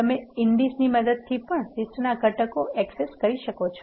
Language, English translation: Gujarati, You can also access the components of the list using indices